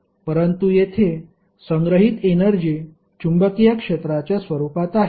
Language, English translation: Marathi, But here the stored energy is in the form of magnetic field